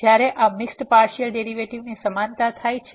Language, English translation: Gujarati, So, when the equality of this mixed partial derivatives happen